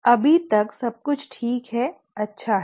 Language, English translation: Hindi, Everything is fine so far so good